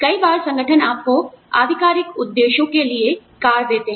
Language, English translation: Hindi, Sometimes, organizations give you, they let you have a car, for official purposes